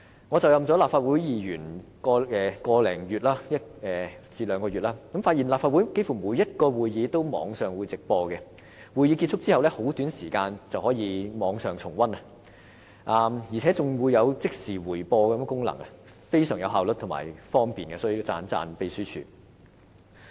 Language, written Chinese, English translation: Cantonese, 我就任立法會議員有個多兩個月，發現立法會幾乎每個會議都設網上直播，在會議結束後的很短時間內，市民便可在網上重溫，而且還有即時回播功能，十分有效率和方便——這方面要稱讚秘書處。, In the more than two months after assuming office as a lawmaker I find that there is live webcast for almost every meeting of the Legislative Council and archived meetings can be viewed shortly after the meetings have ended with a real - time playback function―the Secretariat should be commended for such high efficiency and great convenience